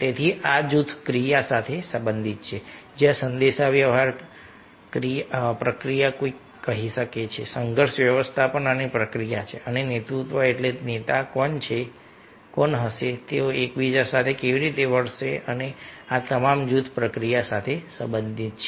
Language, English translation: Gujarati, so these are related to group process ah, where the communication process one can say conflict management process is there and leadership means who will be the leader, how they will be have with each other